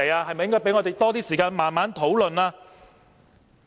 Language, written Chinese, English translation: Cantonese, 是否應給予我們多一點時間慢慢討論？, Is it not possible to give us more time for some careful deliberation?